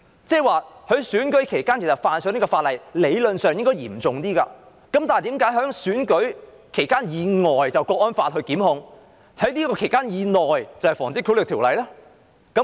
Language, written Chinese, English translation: Cantonese, 在選舉期間犯例，理論上應較為嚴重，但何以選舉期以外的行為會按《香港國安法》作出檢控，選舉期以內的則按《防止賄賂條例》處理？, Offences committed during the election period should theoretically be more serious but why should offences committed outside the election period be prosecuted under the Hong Kong National Security Law while those committed within the election period be dealt with under the Prevention of Bribery Ordinance?